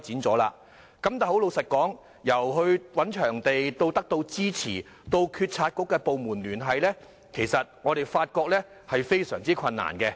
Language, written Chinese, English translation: Cantonese, 但坦白說，由找場地到得到支持，到與政府部門聯繫，我們發現是非常困難的。, Frankly speaking difficulties will be encountered when obtaining support in identifying venues and contacting government departments